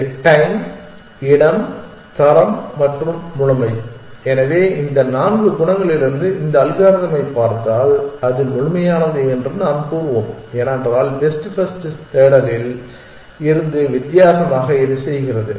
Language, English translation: Tamil, This is time space quality and completeness, so if you look at this algorithm from this four qualities we can say that it is complete because the only thing it does differently from best first search